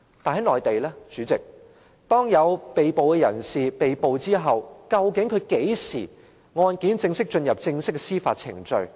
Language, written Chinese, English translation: Cantonese, 代理主席，當有人被捕後，究竟案件何時會正式進入司法程序？, Deputy Chairman after someone has been arrested when will the case officially enter legal proceedings?